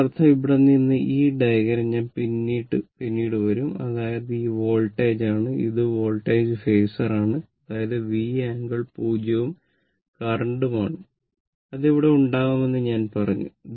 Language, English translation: Malayalam, That means, from here, this diagram, I will come to later; that means, this is my voltage, this is my voltage phasor, that is V angle 0 and current, I told you it will be here